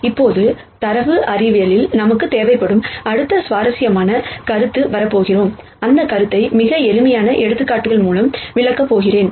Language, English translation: Tamil, Now, we are going to come to the next interesting concept that we would need in data science quite a bit and I am going to explain this concept through very, very simple examples